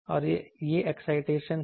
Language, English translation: Hindi, And this is the excitation